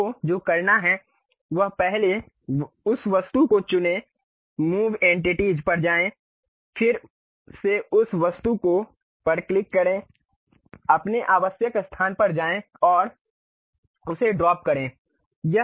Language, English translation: Hindi, What you have to do is first select that object, go to Move Entities again click that object, move to your required location drag and drop it